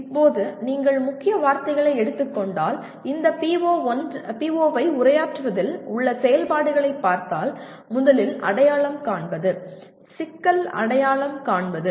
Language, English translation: Tamil, Now if you look at the activities involved in addressing this PO if you take the keywords, first is identify, problem identification